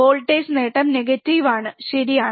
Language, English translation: Malayalam, Not 0, voltage gain voltage gain is negative, right